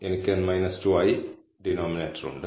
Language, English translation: Malayalam, So, hence I have the denominator as n minus 2